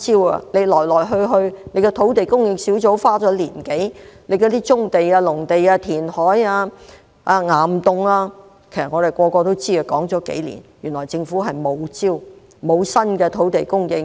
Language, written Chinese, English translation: Cantonese, 土地供應專責小組花了1年多的時間，有關棕地、農地、填海、岩洞的建議，其實所有人都知道，這些建議已說了幾年，原來政府沒有招，沒有新的土地供應策略。, The Task Force on Land Supply spent over a year and came up with the recommendations about brownfield sites agricultural sites land reclamation and caverns . All these recommendations are known to all and have been raised for years . It turns out that the Government has no other tactics and has no new strategies for land supply